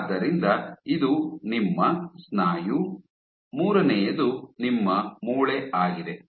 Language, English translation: Kannada, So, this is your muscle, the third one is your bone